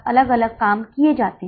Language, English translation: Hindi, Now let us go to the B part